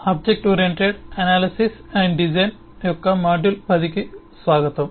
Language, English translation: Telugu, welcome back to module 10 of object oriented analysis and design